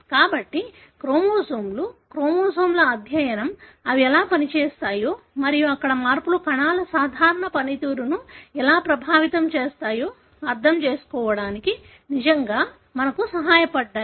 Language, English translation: Telugu, So, that is how the chromosomes, the study of chromosomes really helped us to understand how they function and how changes there may affect the cell normal function